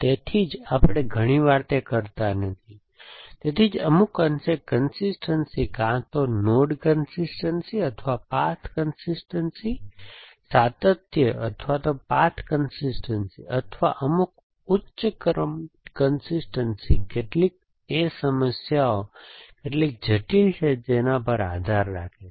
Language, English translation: Gujarati, So, which is why we do not often do it, so very often algorithms will do ache, some degree of consistency, either node consistency or path consistency, consistency or path consistency, or some higher order consistency depending on how much, how complex the problem is